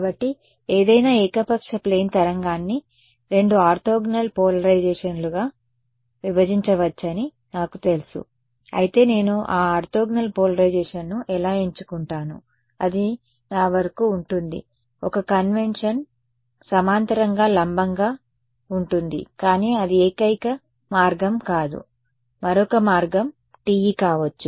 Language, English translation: Telugu, So, I know that any arbitrary plane wave can be broken up into two orthogonal polarizations, but how I choose those orthogonal polarization that is up to me, one convention is parallel perpendicular, but that is not the only way, another way could be TE and TM